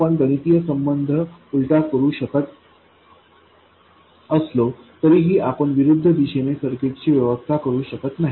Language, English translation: Marathi, Although you can invert the mathematical relationships, you can't arrange a circuit in the converse direction